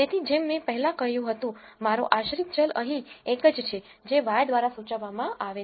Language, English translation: Gujarati, So, like I earlier said, my dependent variable is only one here mean which is denoted by y